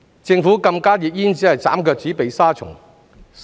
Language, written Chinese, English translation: Cantonese, 政府禁加熱煙只是"斬腳趾避沙蟲"。, The Governments ban on HTPs is just trimming the toes to fit the shoes